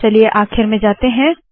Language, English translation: Hindi, Lets go to the end